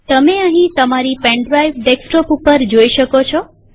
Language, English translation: Gujarati, Here you can see that your pen drive is present on the desktop